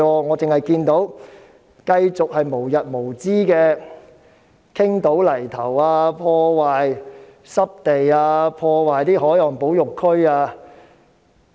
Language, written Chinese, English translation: Cantonese, 我看到的仍然是無日無之的傾倒泥頭、破壞濕地、破壞海岸保護區。, I am still seeing the endless dumping of soil that damages wetland and the Coastal Protection Area